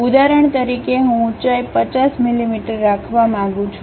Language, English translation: Gujarati, For example, I would like to have a height of 50 millimeters